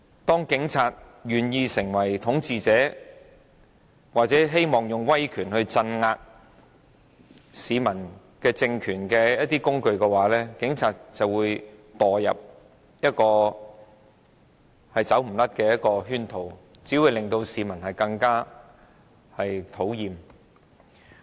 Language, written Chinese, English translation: Cantonese, 當警察願意成為統治者或成為一個試圖以威權鎮壓市民的政權的工具，警察便會墮入一個無法擺脫的圈套，只會更惹市民討厭。, When the Police Force is ready to become a tool of the ruler or the authority that attempts to suppress people with its power it will step into an inescapable pitfall that makes it all the more detestable among people